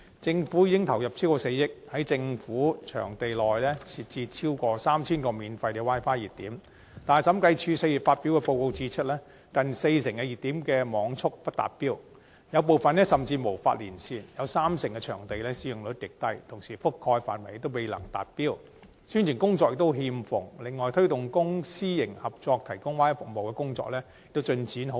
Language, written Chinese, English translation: Cantonese, 政府已投入超過4億元，在政府場地設置超過 3,000 個免費 Wi-Fi 熱點，但審計署4月發表報告指出，近四成熱點的網速不達標，有部分甚至無法連線，提供 Wi-Fi 的場地中三成的使用率極低；整項政府 Wi-Fi 服務的覆蓋範圍未能達標，宣傳工作欠奉；而推動公私營合作提供 Wi-Fi 服務的工作亦進展緩慢。, The Government has injected over 400 million into establishing over 3 000 Wi - Fi hotspots on government premises . However the Audit Commission noted in a report in April that nearly 40 % of the hotspots offered a download speed that fell short of the stated goal; in some of the hotspots no connection can be established at all; 30 % of the venues with Wi - Fi services attracted extremely low usage rates; the entire Government Wi - Fi services lacked publicity with coverage failing to live up to target; and the progress of promoting the provision of Wi - Fi services through private - public collaboration was slow